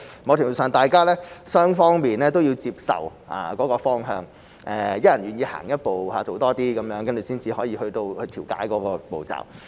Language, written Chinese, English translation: Cantonese, 某程度上，雙方都要接受那個方向，一人願意走一步，多做一些，才能去到調解的步驟。, To a certain extent both parties have to accept that direction and each party is willing to take a step and do more before they can seek mediation